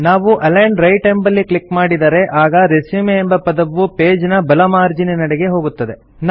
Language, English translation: Kannada, If we click on Align Right, you will see that the word RESUME is now aligned to the right of the page